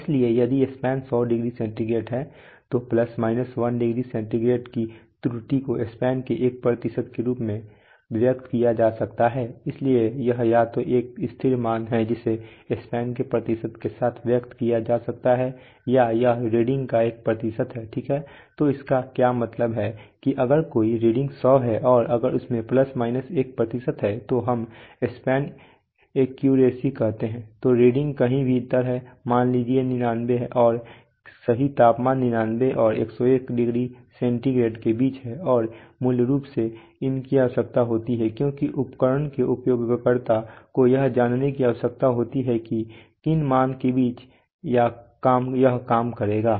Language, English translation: Hindi, So if the span is 100 degree centigrade then a an error is of plus minus 1 degree centigrade can be expressed as 1% of the span, so it is either a constant value it may be expressed with the percent of span or it is a percent of the reading, okay, so what it means that is there if a reading is 100 and if it has plus minus 1 percent of, let us say span accuracy then the reading is somewhere within let us say 99 and then the true temperature will be between 99 and 101 degree centigrade and this, so at all points so whatever reading you get you can always basically these are needed because the, because the user of the instrument needs to know that in within what values